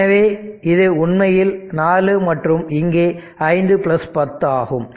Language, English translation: Tamil, So, this is actually 4 ohm and here its 5 plus 10